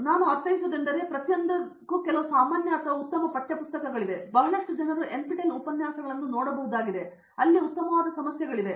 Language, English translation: Kannada, What I mean thorough is there are some very standard text books for each one of them and NPTEL has lot of lectures people have to access it and there are very good problems